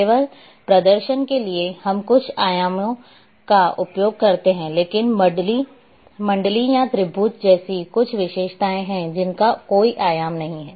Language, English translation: Hindi, Only for display we use some dimensions, but just some features or circle or triangle but it doesn’t have any dimension